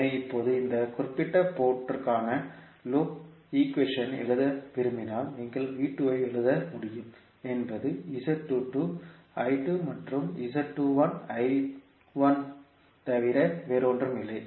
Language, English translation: Tamil, So now, if you want to write the loop equation for this particular port so you can write V2 is nothing but Z22 I2 plus Z21 I1